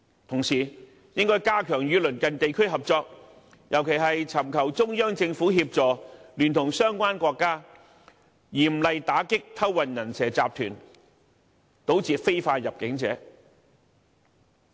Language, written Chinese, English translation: Cantonese, 同時，應加強與鄰近地區合作，尤其尋求中央政府協助，聯同相關國家，嚴厲打擊偷運"人蛇"集團，堵截非法入境者。, Also we should enhance cooperation with neighbouring regions and stringently combat people - smuggling syndicates in collaboration with the countries concerned to cut off illegal entrants . In particular we should ask help from the Central Government